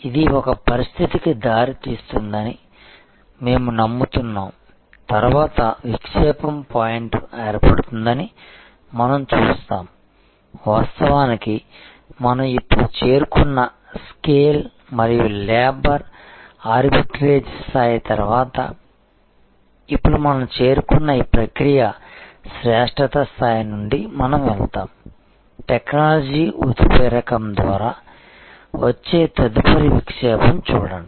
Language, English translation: Telugu, This we believe will lead to a situation, where we will see that the next inflection point will occur, that we will actually go from this level of process excellence, which we have reached now, after the scale and labor arbitrage level we will now, see the next inflection coming through technology catalyzation